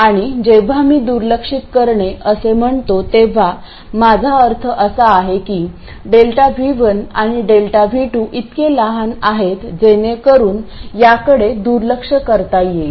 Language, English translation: Marathi, When I say neglected, what I really mean is delta V1 and delta V2 are small enough so that these can be neglected